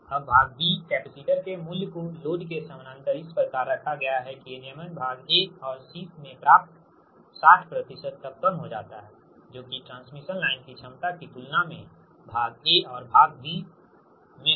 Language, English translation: Hindi, now part b, the value of the capacitors to be placed in parallel with the load, such that the regulation is reduced to sixty percent of that obtained in part a and c, compared the transmission line efficiencies in part a and part b